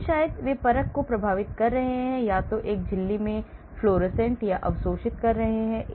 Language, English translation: Hindi, But maybe they are affecting the assay itself either fluorescing or absorbing in the same membrane